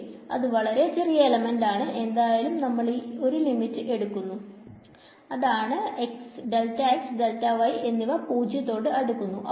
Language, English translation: Malayalam, So, much it is a very small element anyway we are going to take the limit delta x, delta y going to 0 right